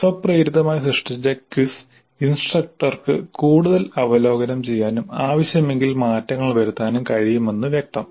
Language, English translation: Malayalam, Obviously the quiz that is automatically created can be reviewed further by the instructor and if required modifications can be made